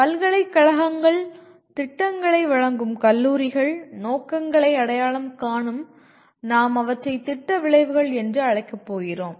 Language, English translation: Tamil, Universities, colleges offering the programs, will identify the “aims” and we are going to call them as “program outcomes”